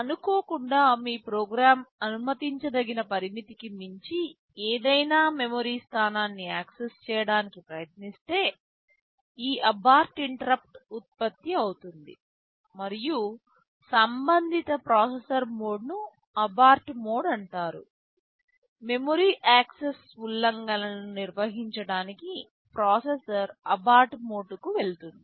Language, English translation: Telugu, If accidentally your program tries to access any memory location beyond the permissible limits, this abort interrupt will be generated and the corresponding processor mode is called the abort mode; for handling memory access violations the processor goes to the abort mode